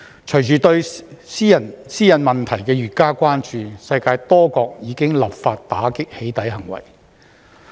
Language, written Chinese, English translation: Cantonese, 隨着對私隱問題的越加關注，世界多國已立法打擊"起底"行為。, As privacy concerns grow many countries around the world have enacted legislation to combat doxxing